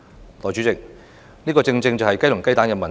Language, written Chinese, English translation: Cantonese, 代理主席，這正正是雞與雞蛋的問題。, Deputy President this is exactly a chicken and egg question